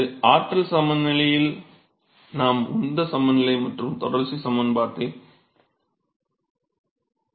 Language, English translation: Tamil, So, this is the energy balance we have the momentum balance and we have the continuity equation